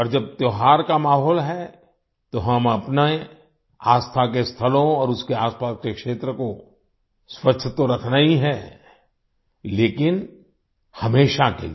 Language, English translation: Hindi, And during the festive atmosphere, we have to keep holy places and their vicinity clean; albeit for all times